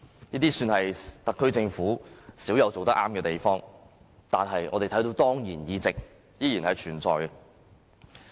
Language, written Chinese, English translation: Cantonese, 這算是特區政府少有的正確行動，但我們看到當然議席依然存在。, It was a rarely correct move by the SAR Government but as we can see today ex - officio seats still exist